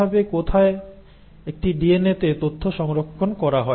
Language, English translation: Bengali, So how is it that, where is it in a DNA that the information is stored